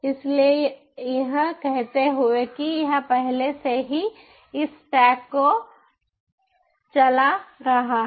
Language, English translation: Hindi, so it is saying that it is already installed, already running there, this stack